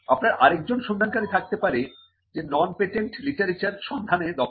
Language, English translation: Bengali, You could have another searcher who is who has the competence to look at non patent literature searches